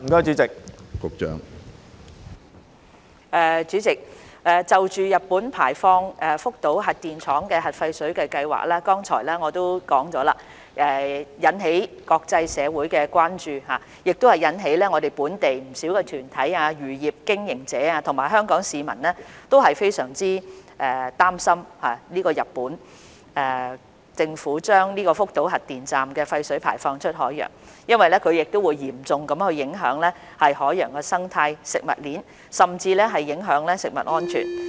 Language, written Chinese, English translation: Cantonese, 主席，我剛才已經表示，日本排放福島核電站核廢水的計劃不但引起國際社會的關注，亦令本地不少團體、漁業經營者及香港市民都非常擔心，因為日本政府將福島核電站廢水排放出海洋，會嚴重影響海洋生態、食物鏈，甚至影響人類健康。, President as I said earlier Japans plan to discharge nuclear wastewater from the Fukushima nuclear power station has not only aroused international concern but also triggered worries among many local organizations fishery operators and Hong Kong citizens because the discharge of nuclear wastewater from the Fukushima nuclear power station into the ocean by the Japanese Government will have a severe impact on the marine ecosystem food chain and even the health of human beings